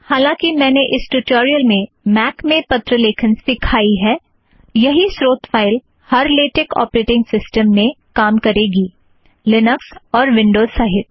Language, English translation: Hindi, Although I talked about the letter writing process in a Mac, the same source file will work in all Latex systems including those in Linux and Windows operation systems